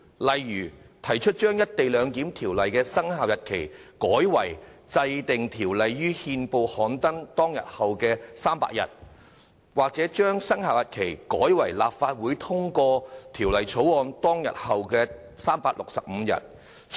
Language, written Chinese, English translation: Cantonese, 例如，提出把經制定的條例的生效日期改為該條例於憲報刊登當日後的第300日，或把生效日期改為立法會通過《條例草案》當天後的365天。, They propose for instance to change the commencement date of the enacted Ordinance to the 300 day on which the enacted Ordinance is published in the Gazette or to change the commencement date to the 365 day after the day on which the Bill is passed by the Legislative Council